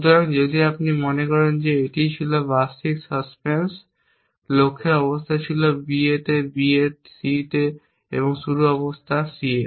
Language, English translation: Bengali, So if you remember this was the suspense annually the start the goals state was at a s on B and B s on C and the starting state was that C is on A